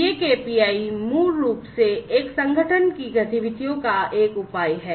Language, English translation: Hindi, These KPIs are basically a measure of the activities of an organization